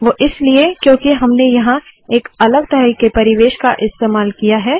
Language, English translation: Hindi, That is because we have used a different kind of environment here